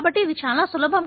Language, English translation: Telugu, So, it is much easier